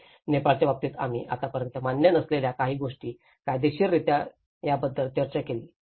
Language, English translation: Marathi, And in the case of Nepal, we also discussed about how legally that is certain things which have not been acknowledged so far